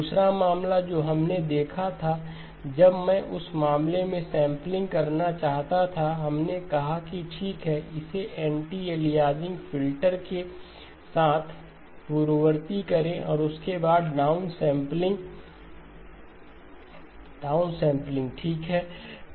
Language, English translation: Hindi, The second case that we looked at was when I want to do down sampling in that case we said okay, precede it with an anti aliasing filter okay and then followed by the downsampling, downsampling okay